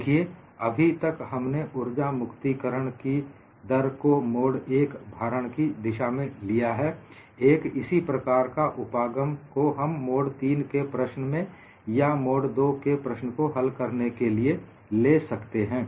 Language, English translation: Hindi, See, all along we have only looked at the energy release rate for the case of mode 1 loading; a similar approach could be extended for solving even a mode 3 problem or mode 2 problem, if the problem is post property